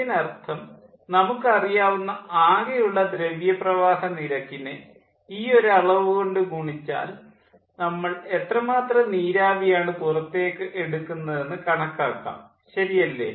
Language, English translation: Malayalam, this is the ratio that means if the total mass flow rate we know multiplied by this quantity will give us how much steam we are extracting, all right, and then we can find out the thermal efficiency